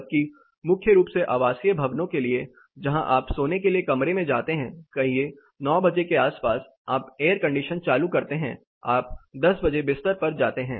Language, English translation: Hindi, Whereas for residential buildings mainly you where you would get into the room to sleep say around 9 o’clock you turn on air conditioner you go to bed at 10 o’clock